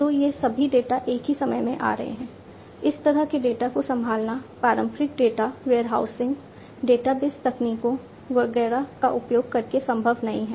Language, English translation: Hindi, So, all these data coming at the same time, handling this kind of data, using conventional data warehousing, database techniques, etcetera, it is not possible